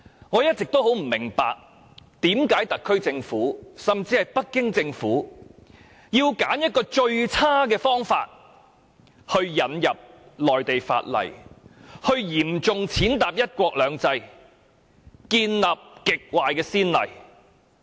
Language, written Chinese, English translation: Cantonese, 我一直不明白為何特區政府甚至北京政府要選擇這種最差的方法引入內地法例，嚴重踐踏"一國兩制"原則，並開立極壞的先例。, I have all along failed to understand why the HKSAR Government or even the Beijing Government has chosen this terrible approach to introduce Mainland laws into Hong Kong which has not only seriously trampled the principle of one country two systems but also set a very bad precedent